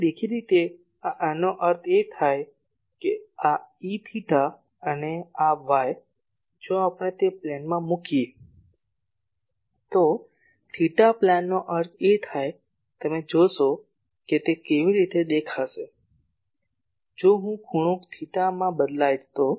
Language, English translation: Gujarati, So; obviously these; that means, this E theta and this y if we in that plane if we put, theta plane means you see that how it will be look like if I vary the angle theta